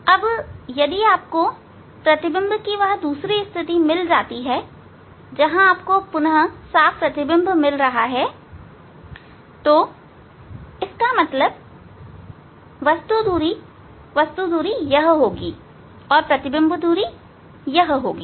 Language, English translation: Hindi, Now, if you find out the second positing of the of the lens from where you are getting the again image at the same place so; that means, the object distance will be this, object distance will be this and image distance will be this